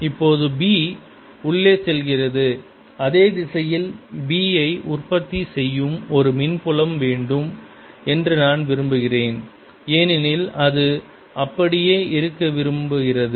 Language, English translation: Tamil, i would like to have an electric field that produces b in the same direction because it wants to keep the same